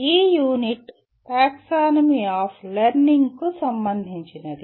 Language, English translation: Telugu, The unit is concerned with the Taxonomy of Learning